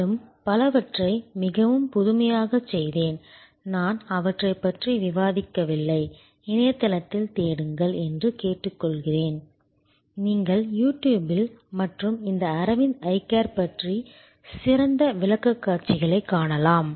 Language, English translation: Tamil, And did it many of those many very innovatively, I am not discussing all of those, I would request you to look on the web and search you will find great presentations on You Tube and about this Aravind Eye Care